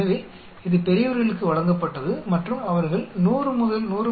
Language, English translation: Tamil, So, it was given to adults and they were tested and when they had a body temperature of 100 to 100